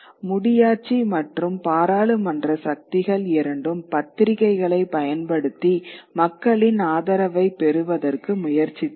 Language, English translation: Tamil, And both the monarchy and the parliamentary forces used the press to create support upon the citizenry